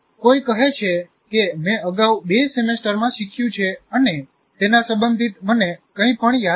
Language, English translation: Gujarati, Somebody says, I have learned something in the two semesters earlier and I don't remember anything related to that